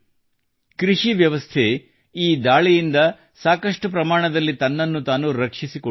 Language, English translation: Kannada, The agricultural sector protected itself from this attack to a great extent